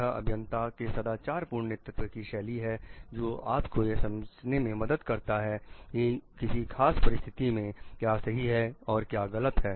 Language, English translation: Hindi, It is a moral leadership style of the engineers which helps you to understand what is right and wrong in a particular situation